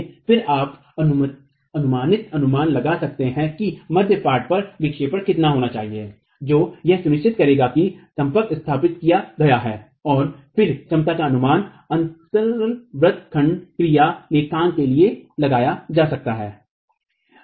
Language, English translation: Hindi, Again, you can make an approximate estimate of how much should the midspan deflection be such that you get midspan deflection that you can permit which will ensure that contact is established and then the capacity can be estimated accounting for the gap touching action